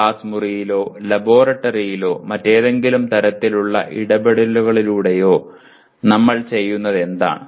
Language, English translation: Malayalam, What we do in the classroom or laboratory or through any other type of interaction